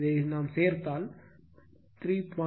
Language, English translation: Tamil, If you add this it will be actually 3